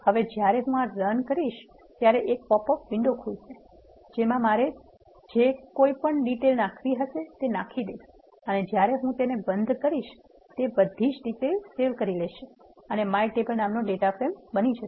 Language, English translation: Gujarati, So, when I execute this command it will pop up a window, where I can fill in the details what I want to fill in and then when I close this will save the data as a data frame by name my table